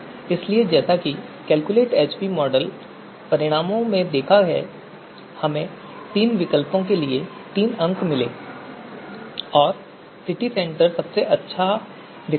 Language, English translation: Hindi, So as you have seen in the calculate AHP model results we got three scores for these three alternatives and City Centre was the best alternative